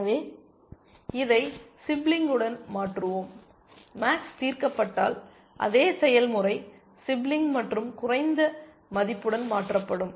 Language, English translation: Tamil, So, we replace this with the sibling, the same process if max is solved replace with sibling and lower value